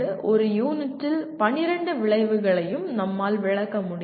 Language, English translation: Tamil, We will not be able to address all the 12 outcomes in one unit